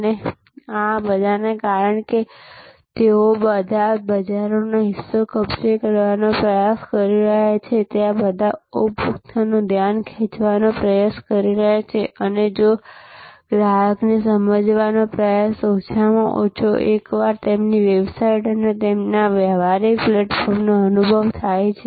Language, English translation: Gujarati, And this because, their all trying to grab market share, there all trying to grab attention of the consumer and trying to persuade the consumer at least comes once an experience their website and their transactional platform